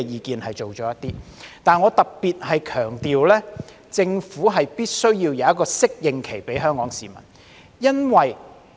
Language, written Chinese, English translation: Cantonese, 不過，我想特別強調，政府必須提供一個適應期給香港市民。, Yet I would like to stress in particular that the Government must provide a preparatory period for the people of Hong Kong